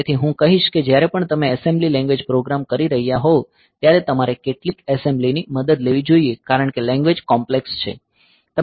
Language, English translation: Gujarati, So, I would suggest that whenever you are doing assembly language programs so, you would take help of some assembler because that is the languages are complex